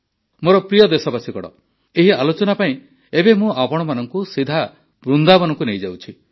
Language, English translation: Odia, My dear countrymen, in this discussion, I now straightaway take you to Vrindavan